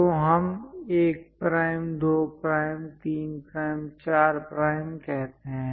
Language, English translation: Hindi, So, let us call 1 prime, 2 prime, 3 prime, 4 prime